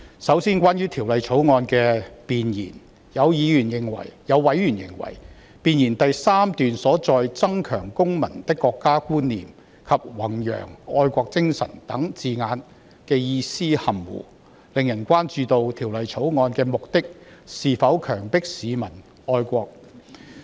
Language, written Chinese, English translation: Cantonese, 首先，關於《條例草案》的弁言，有委員認為，弁言第3段中"增強公民的國家觀念"及"弘揚愛國精神"等字眼的意思含糊不清，令人關注《條例草案》的目的是否強迫市民愛國。, First of all concerning the Preamble of the Bill some members consider that expressions like to enhance citizen awareness of the Peoples Republic of China and to promote patriotism in paragraph 3 of the Preamble are vague and have given rise to concern about whether the Bill is to force people to be patriotic